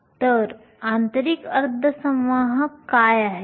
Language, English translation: Marathi, So, what are intrinsic semiconductors